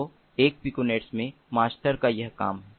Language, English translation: Hindi, so this is the job of the master in a piconet